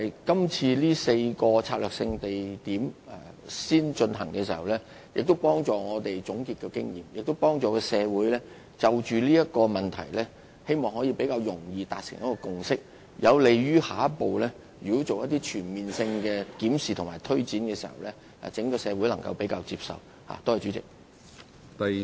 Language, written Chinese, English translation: Cantonese, 今次先就4個策略性地區進行研究，可有助我們總結經驗，並希望協助社會就此問題更易達成共識，有利於在下一步進行全面檢視和推展時，更容易得到整個社會的接納。, The study currently undertaken on the four SUAs can help us sum up experience with the hope of facilitating society to reach a consensus on the issue more easily . This will be beneficial to our efforts to solicit support from society as a whole in the next stage when a comprehensive review is conducted on underground space development and development projects are implemented in this regard